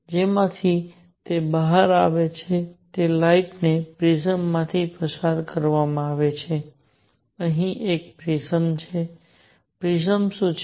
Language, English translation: Gujarati, From which it comes out and then, the light is made to pass through a prism, here is a prism; what does the prism do